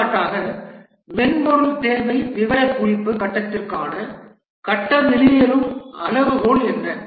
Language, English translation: Tamil, For example, let's say what is the phase exit criteria for the software requirement specification phase